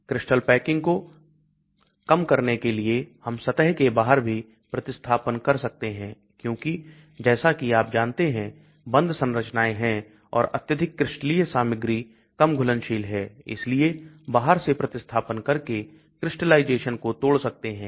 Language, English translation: Hindi, We can have out of plane substitution to reduce crystal packing, because crystals as you know are packed structures and highly crystalline materials are poorly soluble so you break the crystallization by introducing out of plane substitution